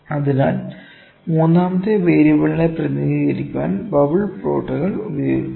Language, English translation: Malayalam, So, bubble plots are used to induce a third variable